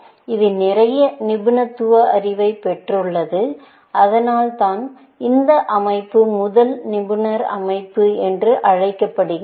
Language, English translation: Tamil, It has got a lot of expert knowledge built into it, and that is why, this system is called the first expert system that was built, essentially